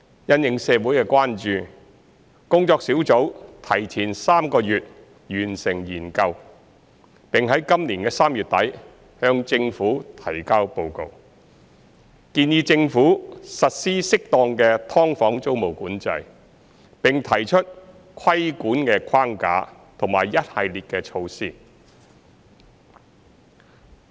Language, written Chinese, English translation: Cantonese, 因應社會的關注，工作小組提前3個月完成研究，並在今年3月底向政府提交報告，建議政府實施適當的"劏房"租務管制，並提出規管框架和一系列的措施。, In response to the concerns of the community the Task Force completed its study three months ahead of schedule and submitted a report to the Government at the end of March this year recommending the Government to introduce rent control on subdivided units as appropriate as well as proposing a regulatory framework and a host of measures